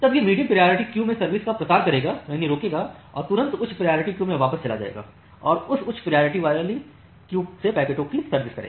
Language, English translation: Hindi, Then it will preempt the service at the medium priority queue and immediately goes back to the high priority queue and serve the packets from that high priority queue